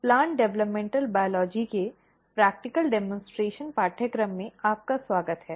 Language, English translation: Hindi, Welcome to the practical demonstration course of Plant Developmental Biology